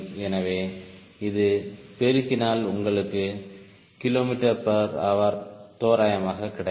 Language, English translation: Tamil, so multiply this will give you kilometer per hour roughly, right